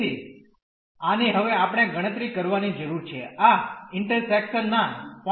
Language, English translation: Gujarati, So, on this we need to compute now what is this intersection points